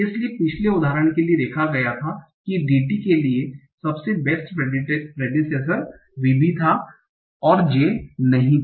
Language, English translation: Hindi, So for the previous example that we were seen, for DT the best predecessor was VB and not JJ